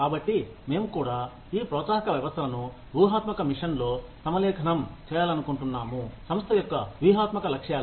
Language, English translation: Telugu, So, we also want to align these incentive systems, with the strategic mission, strategic objectives of the organization